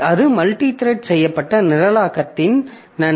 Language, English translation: Tamil, So, that is the advantage of multi threaded programming